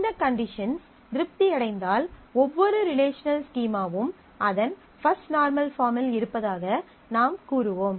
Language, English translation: Tamil, If these conditions are satisfied, then we will say that every relate that relational schema is in its First Normal Form